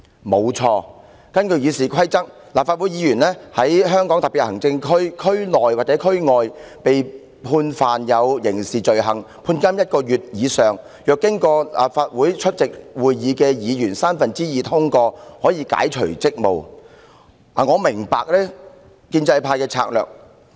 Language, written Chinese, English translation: Cantonese, 沒錯，根據《議事規則》，立法會議員在香港特別行政區區內或區外被判刑事罪名成立而被判監1個月以上，若經立法會三分之二出席會議的議員通過有關動議，便可解除其立法會議員職務。, Undoubtedly in accordance with the Rules of Procedure when a Legislative Council Member is convicted and sentenced to imprisonment for one month or more for a criminal offence committed within or outside the Hong Kong Special Administrative Region he or she will be relieved of his or her duties by a motion passed by two thirds of the Members of the Legislative Council present